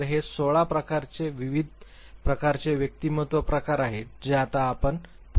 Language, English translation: Marathi, So, these are 16 different types of personality types that you can now come forward with